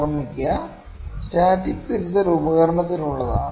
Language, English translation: Malayalam, Please remember, static connection is for the instrument